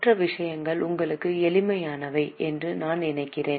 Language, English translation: Tamil, Other things I think are simple to you